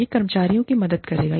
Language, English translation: Hindi, It will help the employees